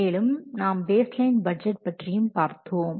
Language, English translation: Tamil, Now, let's see about this baseline budget